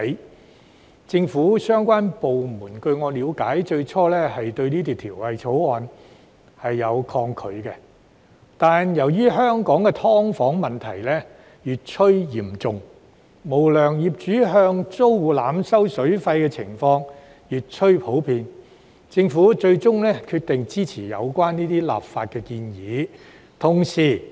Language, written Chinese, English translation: Cantonese, 據我了解，政府相關部門最初對《條例草案》有點抗拒，但由於香港的"劏房"問題越趨嚴重，無良業主向租戶濫收水費的情況越趨普遍，政府最終決定支持有關的立法建議。, To my understanding the government departments concerned were slightly reluctant to support the introduction of the Bill at first but as the problem of subdivided units is becoming more and more serious in Hong Kong and it is getting more and more common for unscrupulous landlords to overcharge their tenants for water the Government has finally decided to give its support to the legislative proposal